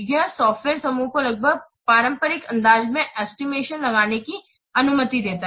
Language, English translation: Hindi, It permits the software group to estimate in an almost traditional fashion